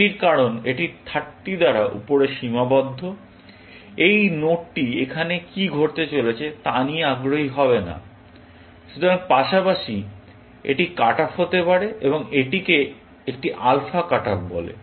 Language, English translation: Bengali, That, because this is upper bounded by 30, this node is never going to be interested in what is going to happen here; so, might as well, cut it off, and this is an alpha cut off